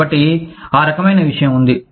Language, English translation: Telugu, So, that kind of thing, is there